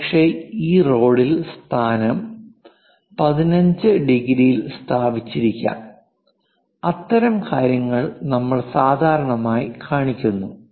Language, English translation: Malayalam, Perhaps this radial location it is placed at 15 degrees; such kind of things we usually show